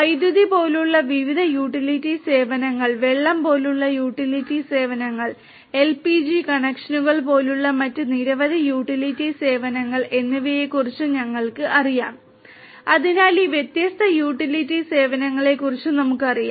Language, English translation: Malayalam, We know of different utility services utility services such as electricity, utility services such as water and so many different other utility services such as LPG connections right, so we know of all these different utility services